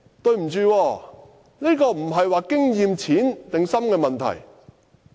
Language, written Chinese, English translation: Cantonese, 不好意思，但這不是經驗淺或深的問題。, Pardon me . The question at issue is not whether he is experienced or not